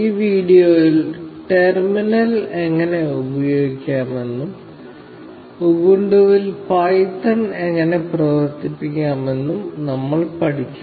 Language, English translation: Malayalam, In this video, we will learn how to use the terminal, and see how to run python on Ubuntu